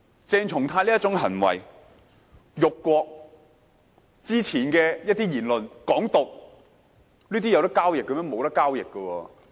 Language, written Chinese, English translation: Cantonese, 鄭松泰議員這些行為：辱國、早前的一些言論：港獨，這些能夠交易嗎？, Such behaviour of Dr CHENG Chung - tai insult to the country; some comments made earlier independence of Hong Kong . Are these open for exchange?